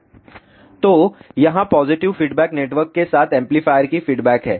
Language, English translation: Hindi, So, here is the response of the amplifier with positive feedback network